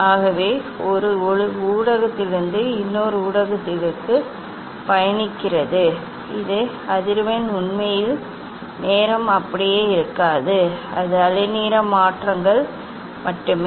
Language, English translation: Tamil, So light travels from one medium to another medium that time this is frequency really does not remain same only it is wavelength changes